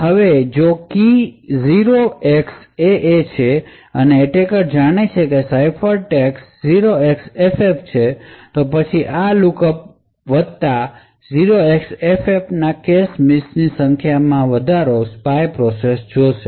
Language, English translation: Gujarati, Now if the key is 0xAA and the attacker knows that the ciphertext is 0xFF, then corresponding to this lookup plus 0x55 the spy process would see an increased number of cache misses